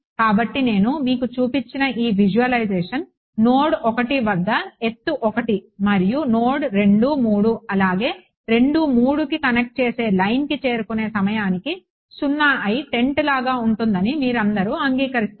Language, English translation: Telugu, So, you all agree that this visualization that I have shown you over here like a tent with height 1 at node 1 and 0 by the time it reaches node 2 3 and the line connecting 2 3